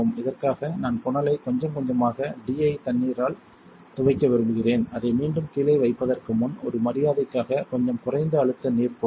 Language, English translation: Tamil, For this I like to rinse the funnel a little bit with the D I water before I put it back down there just as a courtesy, just some low pressure water is enough